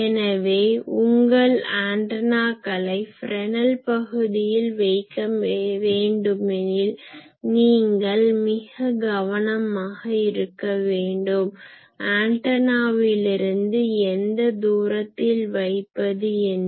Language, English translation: Tamil, So, if you want to put your antennas in Fresnel zone you need to be very careful, that what is the distance from the antenna